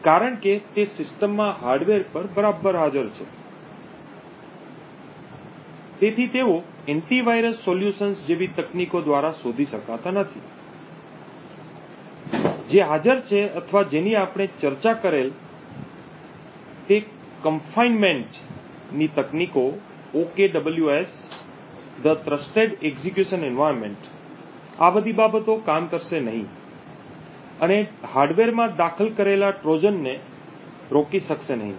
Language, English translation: Gujarati, So these hardware Trojans are since they are present right at the hardware in the system, they cannot be detected by techniques such as the antivirus solutions which are present or the various other techniques that we discussed like the confinement techniques, the OKWS, the trusted execution environment, all of these things will not work and will not be able to prevent Trojans which are inserted right at the hardware